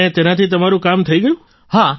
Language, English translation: Gujarati, and your work is done with it